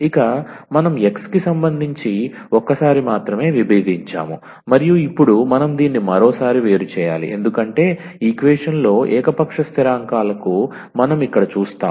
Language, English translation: Telugu, So, we have differentiated with respect to x only once and now we have to differentiate this once again because, we do see here to arbitrary constants in the equation